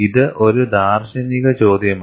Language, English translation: Malayalam, It is a philosophical question